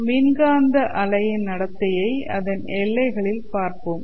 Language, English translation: Tamil, Then we will look at behavior of this electromagnetic waves at boundaries